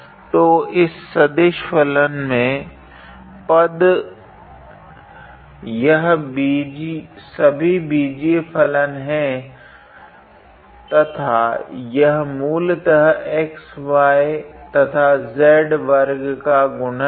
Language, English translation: Hindi, So, the terms in this vector function, they are all algebraic functions and basically in a way they are product of xy and z square